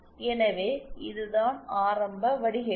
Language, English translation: Tamil, So that is this commensurate filter